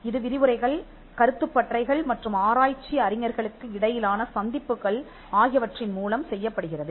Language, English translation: Tamil, This is done through lectures workshops and interactions between the research scholars